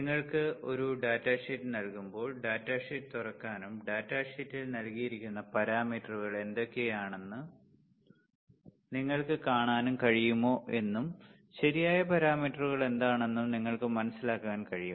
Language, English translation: Malayalam, The idea is also that when you are given a data sheet can you open the data sheet and can you see what are the parameters given in the data sheet and can you understand what are the parameters right